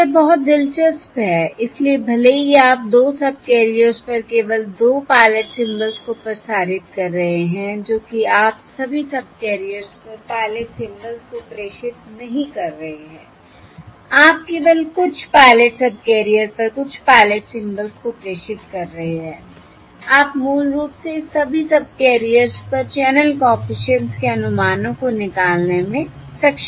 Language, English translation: Hindi, so even though you are transmitting only 2 pilot symbols on 2 subcarriers, that is, you are not transmitting pilot symbols on all the subcarriers, you are only transmitting a few pilot symbols on a few pilot subcarriers, you are able to basically extract the estimates of the channel coefficient on all the subcarriers